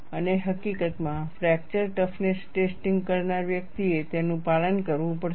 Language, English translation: Gujarati, And, in fact, a person performing the fracture toughness testing has to adhere to that